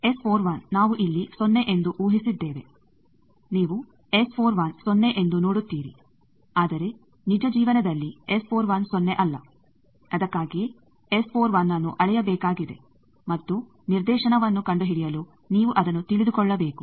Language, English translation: Kannada, S 41 we have assumed here to be 0, you see S 41 is 0, but in real life S 41 is not 0, that is why that S 41 needs to be measured and for finding directivity you need to know that